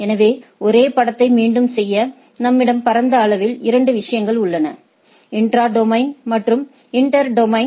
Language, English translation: Tamil, So, just to repeat the same picture, we have broadly 2 things, intra domain and inter domain